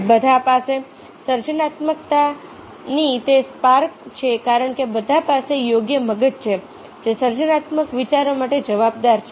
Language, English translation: Gujarati, all have that spark of creativity because all have the right brain which is accountable for creative ideas